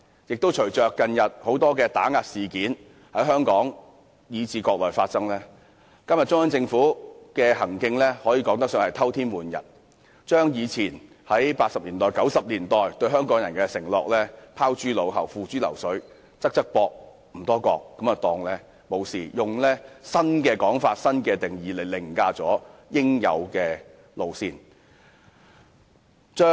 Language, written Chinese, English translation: Cantonese, 觀乎近日在香港和國內發生的多宗打壓事件，中央政府的行徑可說是偷天換日，把以前在1980年代、1990年代對香港人的承諾拋諸腦後，付諸流水，"側側膊，唔多覺"便當作無事，以新的說法和定義來凌駕應有的路線。, In view of the recent spate of oppressive incidents both in Hong Kong and on the Mainland it can be said that the Central Government has perpetrated a gigantic fraud by casting aside its promises made to Hong Kong people back in the 1980s and 1990s shrugging them off as if they had never been made and using new interpretations and definitions to override the approach that should be adopted . One country two systems and Hong Kong people administering Hong Kong should have been able to command public confidence